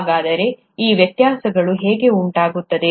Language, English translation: Kannada, So how are these variations caused